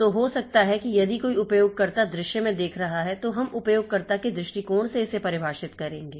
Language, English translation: Hindi, So, you may be somebody looking into the user view from the user perspective, we will define it from the user's perspective